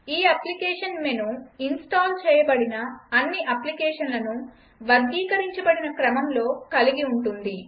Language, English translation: Telugu, The application menu contains all the installed applications in a categorized manner